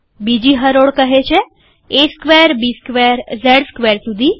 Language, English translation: Gujarati, Second row says a square, b square up to z square